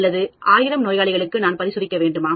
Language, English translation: Tamil, Should I test on 1000 patients